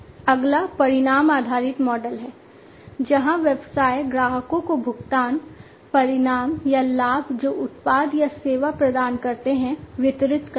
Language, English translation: Hindi, The next one is the outcome based model, where the businesses they deliver to the customers the payment, the outcomes or the benefits that the product or the service provides